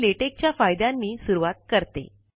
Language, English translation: Marathi, I would begin with the benefits of Latex